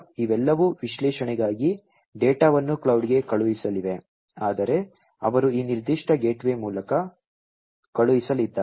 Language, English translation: Kannada, These are all going to send the data to the cloud for analytics, but it is they are going to send through this particular gateway